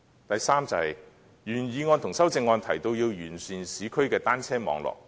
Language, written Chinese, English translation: Cantonese, 第三，原議案和修正案提到完善市區的單車網絡。, Thirdly both the original motion and the amendments mention enhancing the urban cycle networks